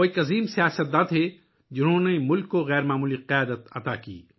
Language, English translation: Urdu, He was a great statesman who gave exceptional leadership to the country